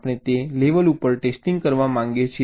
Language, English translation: Gujarati, we want to test at that level